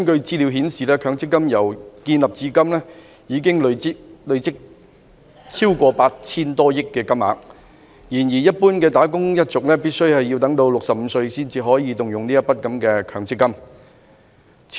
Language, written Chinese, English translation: Cantonese, 資料顯示，強積金由成立至今，已經累積超過 8,000 多億元，但一般的"打工一族"必須年滿65歲才可動用強積金。, Statistics show that MPF has accumulated over 800 billion since its establishment but the general wage earners are allowed to withdraw their MPF benefits only when they attained the age of 65